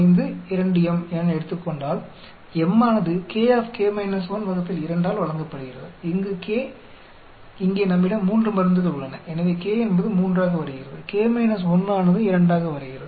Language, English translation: Tamil, 05 2 m, m is given by , where k here we have 3 drugs so k becomes 3, k 1 becomes 2